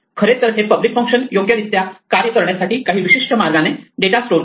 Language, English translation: Marathi, This actually stores data in some particular way to make the public functions work correctly